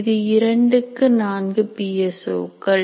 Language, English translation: Tamil, It is 2 to 4 PSOs